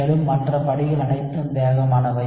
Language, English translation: Tamil, And all these steps are also fast